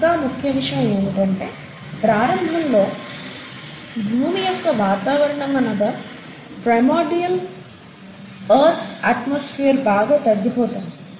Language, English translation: Telugu, The other important thing to note is that the initial earth’s atmosphere, which is what we call as the primordial earth’s atmosphere, was highly reducing